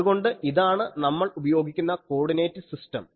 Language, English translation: Malayalam, So, this is the coordinate system we will use